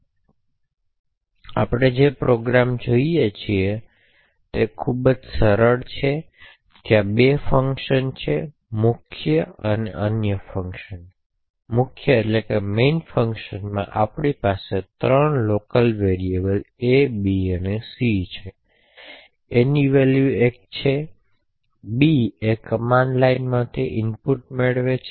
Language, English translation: Gujarati, Now the program we look at is very simple there are two functions a main and the function, in the main function we have three local variables a, b and c, a has a value of 1, b takes it is input from the command line arguments and c essentially does a + b